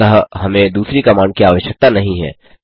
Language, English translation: Hindi, Hence we do not need second command